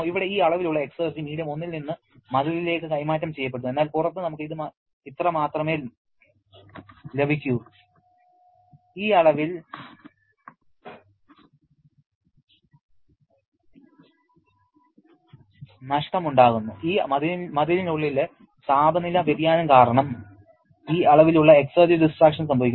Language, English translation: Malayalam, Here, this amount of exergy is being transferred from medium 1 into the wall but outside we get only this much, there is this amount of loss, this amount of exergy destruction because of the temperature change inside this wall